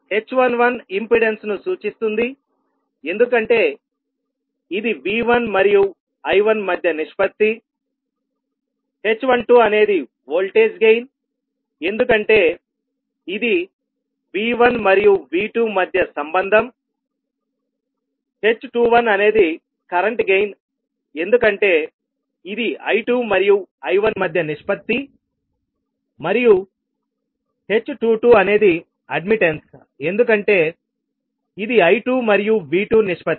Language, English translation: Telugu, h11 represents the impedance because it is the ratio between V1 and I1, h12 is the voltage gain because this is a relationship between V1 and V2, h21 is the current gain because it is again the ratio between I2 and I1 and h22 is the admittance because it is ratio between I2 and V2